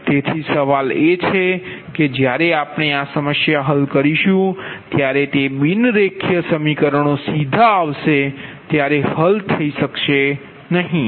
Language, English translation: Gujarati, so question is that that when we will solve this problem, when we will this problem ah, it is non linear, equations will come directly cannot be solved, right